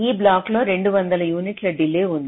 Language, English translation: Telugu, this block has two hundred units of delay